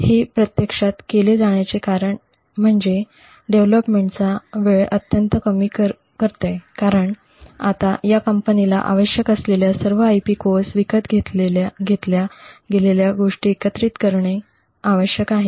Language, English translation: Marathi, The reason this is actually done is that it drastically reduces development time because now all that is required by this company is to essentially integrate various IP cores which is purchased